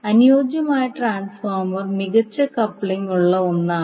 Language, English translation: Malayalam, The ideal transformer is the one which has perfect coupling